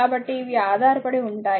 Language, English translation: Telugu, So, these are dependent